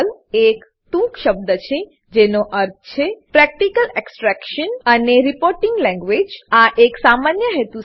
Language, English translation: Gujarati, PERL is an acronym which stands for Practical Extraction and Reporting Language